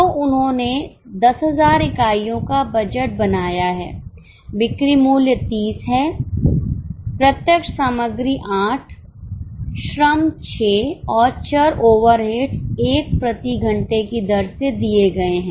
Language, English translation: Hindi, So, they have made a budget of 10,000 units, sale price is 30, direct material 8, labour 6 and variable over rates 1 per hour rates are also given